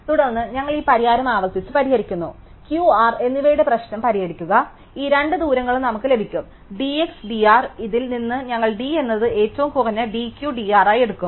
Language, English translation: Malayalam, Then, we have recursively solve this solution, the solve problem of Q and R and we will get these two distances d x and d R from this we will take d to be the minimum of d Q and d R